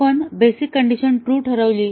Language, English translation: Marathi, We set the basic condition to true